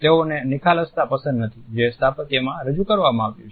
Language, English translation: Gujarati, They do not like the openness which has been introduced in the architecture